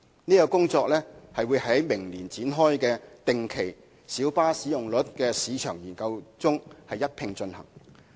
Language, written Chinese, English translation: Cantonese, 這項工作會在明年展開的定期小巴使用率市場研究中一併進行。, This review would be conducted in tandem with the regular study on the market occupancy rate of light buses to be launched next year